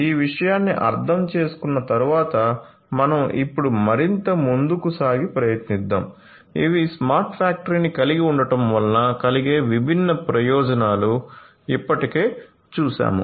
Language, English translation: Telugu, So, let us having understood this thing let us now proceed further and try to, we have already seen that these are the different benefits of having a smart factory